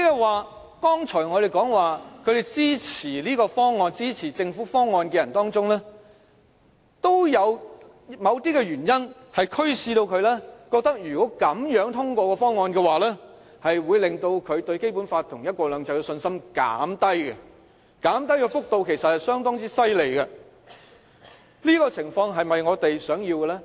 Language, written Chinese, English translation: Cantonese, 換言之，我們剛才說在支持政府方案的人中，都有某些原因驅使他們覺得如果這樣通過方案，會減低他們對《基本法》和"一國兩制"的信心，減低的幅度其實相當厲害，這種情況是否我們想要的？, In other words among those who support the Governments proposal in the survey out of some reasons they believe the endorsement of the proposal this way will weaken their confidence in the Basic Law and one country two systems . The rate of reduction is rather alarming . Is this what we want?